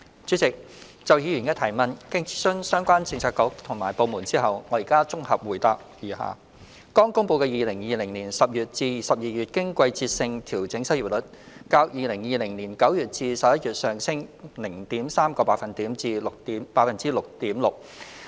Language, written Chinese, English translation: Cantonese, 主席，就議員的質詢，經諮詢相關政策局及部門後，我現綜合答覆如下：剛公布的2020年10月至12月經季節性調整失業率，較2020年9月至11月上升 0.3 個百分點至 6.6%。, President in consultation with relevant bureaux and departments my consolidated reply to the Members question is as follows As recently released the seasonally adjusted unemployment rate rose by 0.3 percentage point from September to November 2020 to 6.6 % in October to December 2020